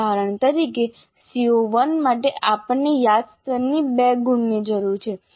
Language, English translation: Gujarati, For CO1 we need two marks from remember level